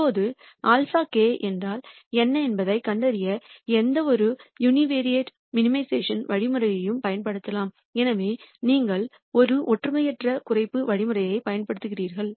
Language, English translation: Tamil, Now, any univariate minimization algorithm can be deployed to find out what alpha k is